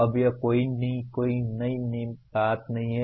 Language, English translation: Hindi, Now this is not anything new